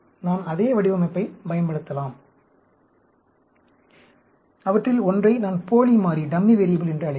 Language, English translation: Tamil, I can use the same design; I will call one of them as dummy variable